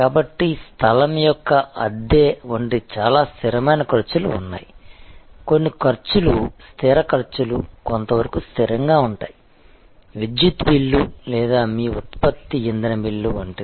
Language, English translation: Telugu, So, there are therefore, some fixed cost which are quite fixed like the rental of the place, some costs are, fixed costs are somewhat fixed somewhat variable like the electricity bill or your generated fuel bill and so on